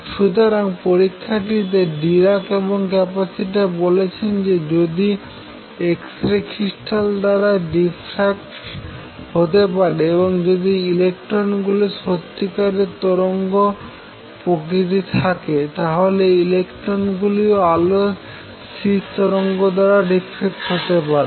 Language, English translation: Bengali, So, the experiment is what Dirac and Kapitsa said is that if x rays can be diffracted by material that is a crystal, and if electrons really have wave nature then electrons can also be diffracted by standing wave of light